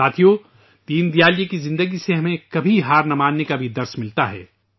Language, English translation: Urdu, from the life of Deen Dayal ji, we also get a lesson to never give up